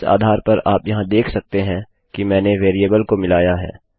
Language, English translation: Hindi, On this basis, you can see here that Ive incorporated a variable